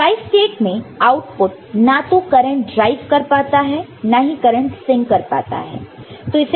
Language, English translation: Hindi, So, in Tristate; that means, the output is neither able to drive current, nor able to sink current, ok